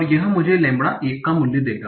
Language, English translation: Hindi, This comes out to be lambda 4